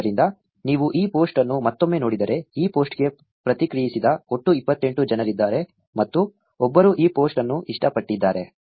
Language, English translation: Kannada, So, if you look again this post, there are 28 people in all who have reacted to this post, and one person has loved this post